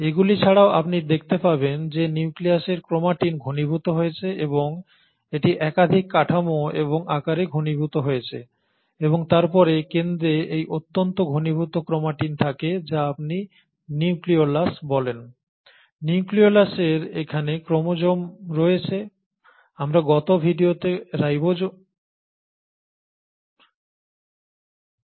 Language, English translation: Bengali, In addition to this you find that the chromatin in the nucleus is condensed and it gets condensed into multiple structures and forms and then at the centre you have this highly compacted chromatin material which is what you call as the nucleolus